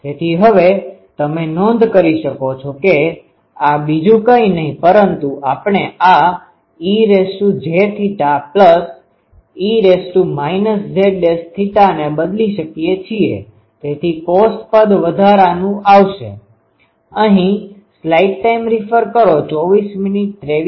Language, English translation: Gujarati, So, now, this you can note that this is nothing, but we can replace this e to the power j theta plus e to the power minus z theta means a cos term will come extra